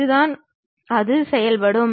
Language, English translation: Tamil, That is the way it works